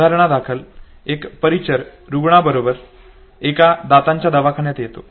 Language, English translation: Marathi, For instance an attendant comes along with the patient okay, to a dentist clinic okay